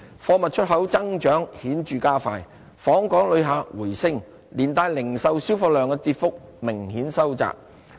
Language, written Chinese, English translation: Cantonese, 貨物出口增長顯著加快，訪港旅客回升，連帶零售銷貨量的跌幅明顯收窄。, Growth in exports of goods accelerated notably coupled with a rebound in visitor arrivals significantly reducing the decline in retail sales volume